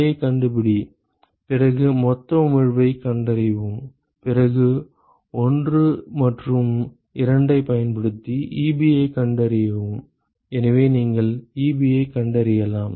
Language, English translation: Tamil, Find Ji then find all the total emissivity, then use 1 and 2 and find Ebi, so you can find Ebi